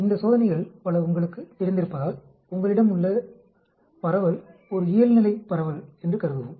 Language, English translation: Tamil, Because many of these tests you know, assumes that the distribution which you are having is a Normal distribution